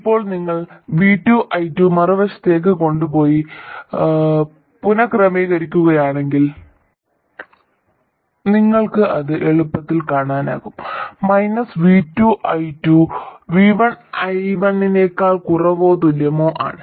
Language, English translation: Malayalam, Now if you just rearrange this by taking V2i2 to the other side, you will easily see that minus V2 i2 is less than or equal to V1i1